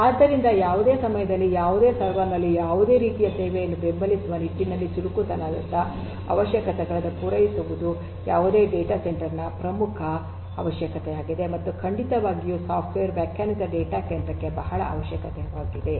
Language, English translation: Kannada, So, catering to agility requirements with respect to supporting any kind of service on any server at any time is a very important requirement of any data centre network and definitely for software defined data centre